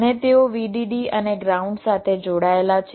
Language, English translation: Gujarati, and they connected vdd and ground